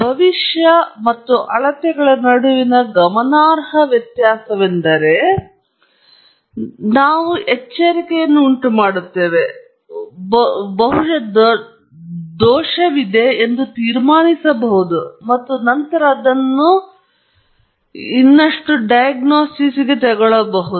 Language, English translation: Kannada, If there is a significant difference between the prediction and the measurement, then we raise an alarm, and probably conclude that there is a fault, and then, take it up for further diagnosis